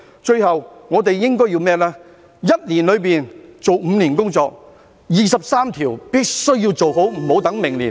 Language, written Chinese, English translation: Cantonese, 最後，我們應該要在一年內做5年的工作，第二十三條立法必須要做好，......, Finally we should complete five years work in one year . The legislation on Article 23 must be done properly and should not wait until next year